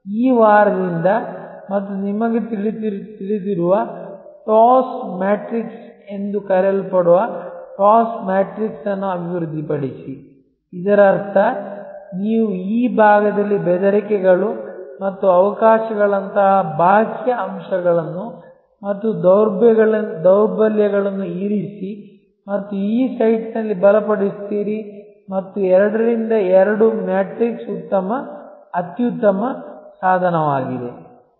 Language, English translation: Kannada, Out of this week and develop what is known as that TOWS matrix you know TOWS the TOWS matrix; that means, you put the external factors like threats and opportunities on this side and weaknesses and strengthen on this site and is 2 by 2 matrix is an excellent tool simple